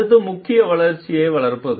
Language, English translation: Tamil, Next important is nurtures growth